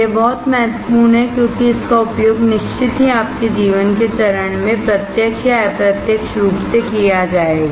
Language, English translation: Hindi, It is very important because it will be used in a certain phase of your life directly or indirectly